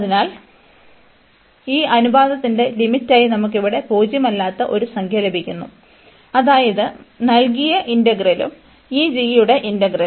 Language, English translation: Malayalam, So, we are getting a non zero number here as the limit of this ratio that means, this integral the given integral and the integral of this g